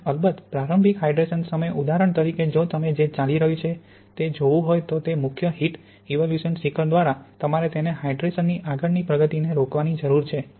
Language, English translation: Gujarati, And of course, at early hydration times for example if you want to look in what is going on through that main heat evolution peak you need it to stop the further progress of hydration